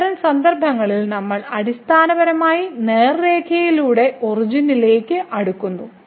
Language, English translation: Malayalam, In that case we are basically approaching to origin by the straight line